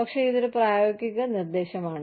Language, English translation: Malayalam, But, it is a practical suggestion